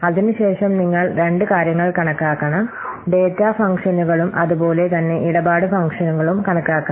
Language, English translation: Malayalam, The you have to count the data functions as well as you have to count the transaction functions